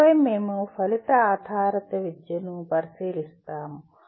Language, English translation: Telugu, Then we look at outcome based education